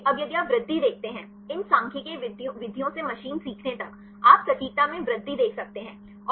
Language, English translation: Hindi, So, now if you see the growth; from these statistical methods to the machine learning; you can see the growth in the accuracy